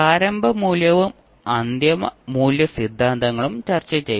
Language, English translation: Malayalam, We also discussed initial value and final value theorems